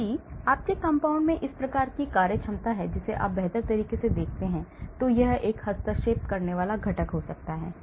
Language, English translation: Hindi, These; if your compound has these type of functionality you better watch out, it may be a interfering component